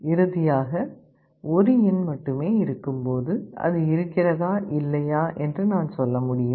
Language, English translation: Tamil, Finally, when there is only 1 element, I can tell that whether it is there or not